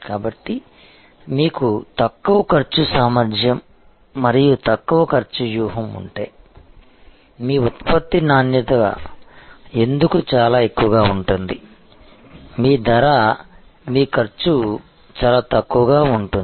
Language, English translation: Telugu, So, if you have a low cost capability and low cost strategy, it is possible that why your product quality will be pretty high, your price your cost will be quite low